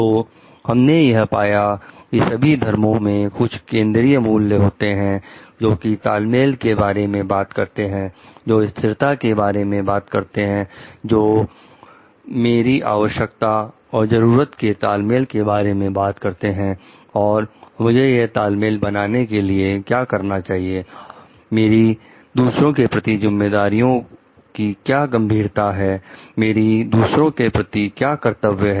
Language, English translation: Hindi, So, we find like all the religions have certain core values, which talks of the like synergy, which talks of sustainability, which talks of balance between the my needs and wants and how I need to what is the my degree of responsibility towards others my duty towards others